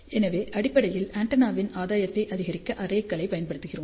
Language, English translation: Tamil, So, basically we use arrays to increase the gain of the antenna